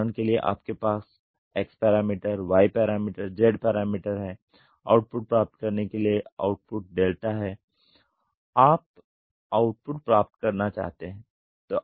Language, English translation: Hindi, For example, you have X parameter, Y parameter, Z parameter to get an output; output is delta you want to get an output